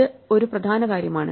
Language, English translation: Malayalam, This is an important thing